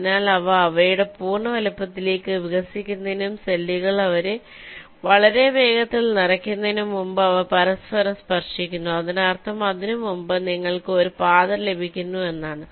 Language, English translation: Malayalam, so before the expand to their full size and start filling up cells much more rapidly, they ah touch in each other, which means you are getting a path much before that